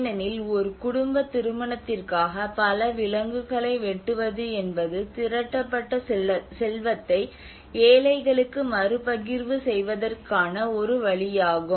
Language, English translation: Tamil, Because the butchering of so many animals for a family wedding is a way of redistributing the accumulated wealth to the poor